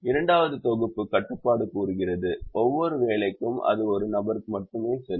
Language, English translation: Tamil, the second set of constraint says: for every job, it will go to only one person